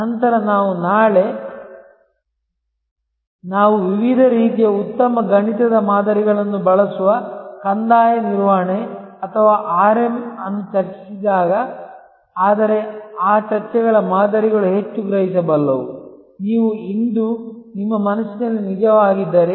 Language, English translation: Kannada, Then, if you thing about this tomorrow when we discussed Revenue Management or RM, which uses various kinds of nice mathematical models, etc, but those models of discussions will become for more comprehensible, if you can actually thing in your mind today